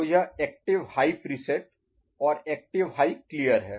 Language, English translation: Hindi, So, it was this because it is active high preset, active high clear